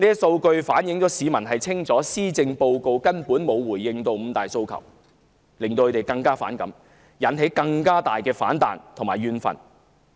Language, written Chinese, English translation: Cantonese, 數據反映市民清楚知道施政報告根本沒有回應"五大訴求"，令他們更加反感，引起更大的反彈和怨憤。, These figures show that the absence of any response to the five demands in the Policy Address a fact of which the public was fully aware caused even more resentment and discontent among the public and provoked a greater backlash from them